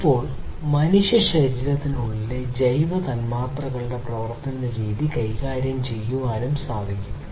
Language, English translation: Malayalam, Now, it is also possible to manipulate the way the biomolecules within a human body they operate